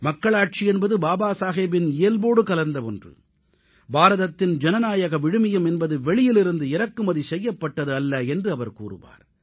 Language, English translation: Tamil, Democracy was embedded deep in Baba Saheb's nature and he used to say that India's democratic values have not been imported from outside